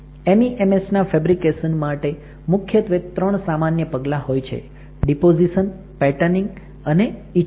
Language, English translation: Gujarati, There are three basic steps in MEMS fabrication are deposition, patterning and etching